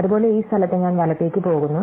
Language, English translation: Malayalam, Similarly, at this place I go a right